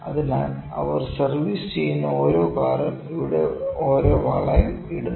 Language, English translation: Malayalam, So, each car they are servicing, they are putting a ring here